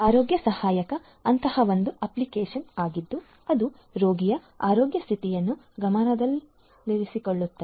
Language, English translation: Kannada, Health assistant is one such app which keeps track of health condition of the patient